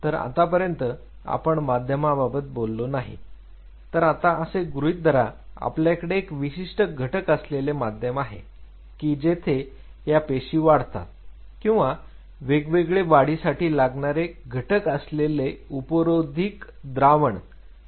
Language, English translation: Marathi, So, again as of now we have not talked about medium just assume that we you have a particular composition of medium where these cells will grow or a buffered solution supplemented by different growth factors